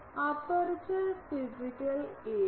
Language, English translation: Malayalam, The aperture physical area